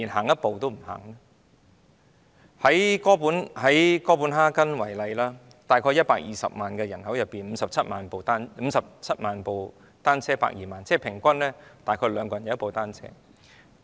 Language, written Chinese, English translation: Cantonese, 以哥本哈根為例，在約120萬人口中，有57萬輛單車，即平均每2人便有1輛單車。, Speaking of Copenhagen for example there are 570 000 bicycles among some 1 200 000 people . This means that every two people have a bicycle